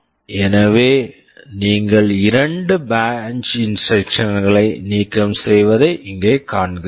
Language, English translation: Tamil, So, you see here you are eliminating two branch instructions